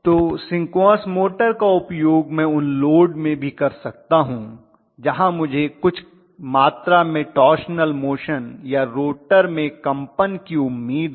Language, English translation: Hindi, So in the case of synchronous machine I would be able to use those synchronous motors even in those loads where I may expect some amount of torsional motion or some amount of vibrations in the rotor